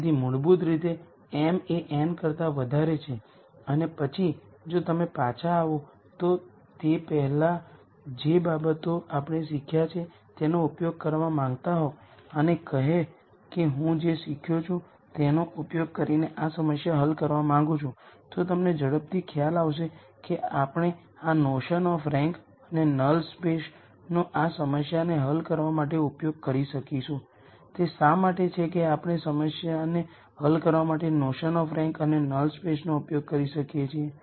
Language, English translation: Gujarati, So, basically m is greater than n and then if you want to use things that we have learned before to come back and say I want to solve this problem using things that I have learned, you would quickly realize that we can use the notion of rank and null space to solve this problem and why is it that we can use the notion of rank a null space to solve the problem